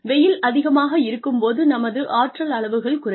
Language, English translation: Tamil, When it is very hot outside, our energy levels do go down